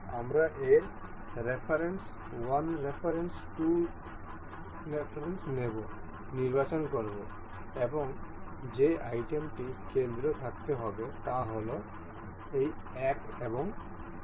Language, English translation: Bengali, We will select its reference 1 reference 2 and the item that has to be in the center say this one and this